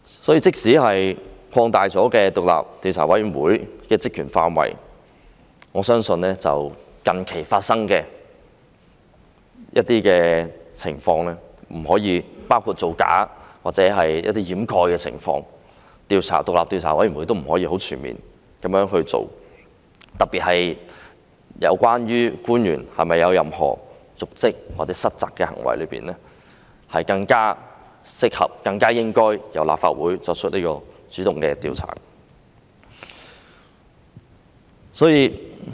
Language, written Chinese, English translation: Cantonese, 因此，即使擴大了獨立調查委員會的職權範圍，我相信近期發生的情況，包括造假或一些掩飾的情況，獨立調查委員會並不能很全面地進行調查，特別是在有關官員有否瀆職或失責的行為方面，是更適合、更應該由立法會主動進行調查。, Therefore despite an expansion of the terms of reference of the Commission I think the Commission cannot comprehensively look into the situations that have emerged recently including frauds or cover - ups . Particularly regarding acts amounting to dereliction of duty or default on the part of the officials concerned it is more appropriate and more reasonable for the Legislative Council to proactively conduct an inquiry